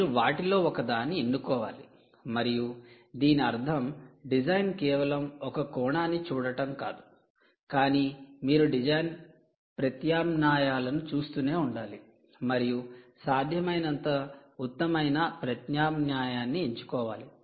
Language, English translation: Telugu, you have to choose one of them again and then that means essentially design means is just not one aspect, but you have to keep looking at design alternatives and choose the best possible alternative